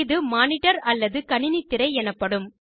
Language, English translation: Tamil, This is a monitor or the computer screen, as we call it